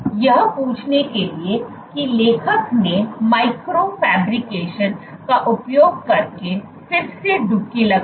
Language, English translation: Hindi, To ask that question what is the authors did was dip again using Micro fabrication